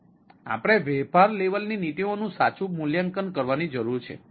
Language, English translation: Gujarati, so we need to evaluate the business level policies